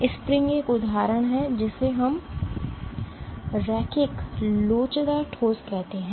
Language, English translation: Hindi, Spring is an example of what we call as a linear elastic solid